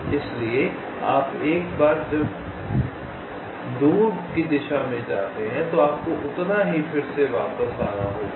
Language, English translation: Hindi, so once you go go to the to the away direction, will have to again come back by that amount